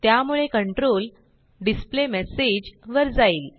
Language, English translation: Marathi, So the control goes to the displayMessage